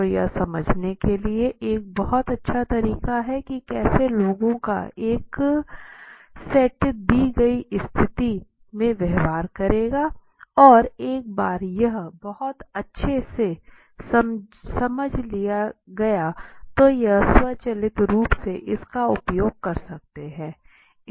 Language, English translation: Hindi, So that is very nice way of understanding how a set of people would react to a particular situation and once the marketer has understand it automatically they can put it into their use it states that